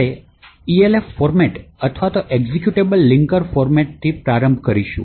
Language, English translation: Gujarati, So, we will start with the Elf format or the Executable Linker Format